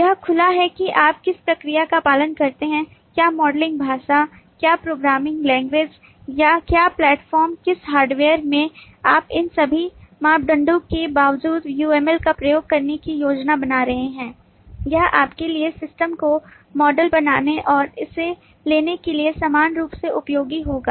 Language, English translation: Hindi, it is open so that, irrespective of what process you follow, what modelling language, what programming language, what platform, which hardware you are planning to use, irrespective of all these parameters, uml would be equally useful for you to model the system and to take it through the life cycle of development